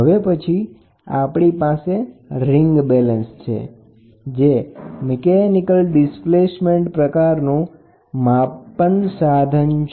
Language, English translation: Gujarati, So, the next one is ring balance, a ring balance belongs to a mechanical displacement type pressure measuring device